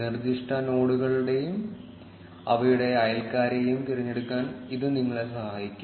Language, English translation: Malayalam, It can help you select specific nodes and their neighbors